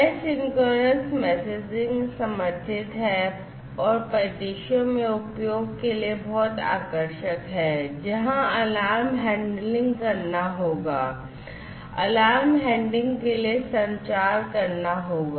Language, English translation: Hindi, Asynchronous messaging is supported and is very much attractive for use in scenarios, where alarm handling will have to be done, the communication for alarm handling will have to be done